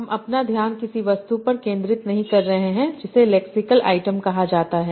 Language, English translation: Hindi, We are now focusing our attention to something called a lexical item